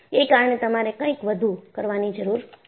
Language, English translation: Gujarati, So, you need to do something more